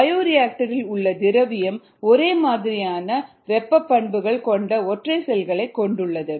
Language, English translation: Tamil, the solution in the bioreactor consists of single cells with similar thermal response characteristics